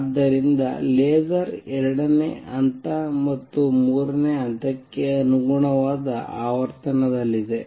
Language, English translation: Kannada, So, laser is going to be of the frequency corresponding to level 2 and level 3